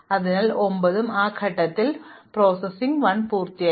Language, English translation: Malayalam, So, at step 9 we have completed processing 1